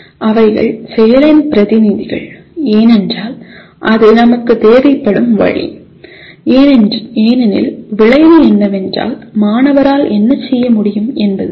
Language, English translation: Tamil, They are representative of action because that is the way we require because outcome is stated as, outcome is what the student should be able to do